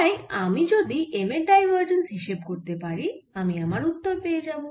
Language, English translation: Bengali, so if i calculate divergence of m, i have my answer